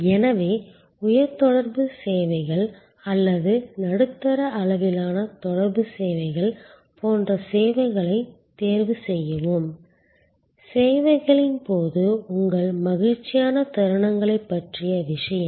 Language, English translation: Tamil, So, choose services like high contact services or medium level of contact services, thing about your moments of joy during the services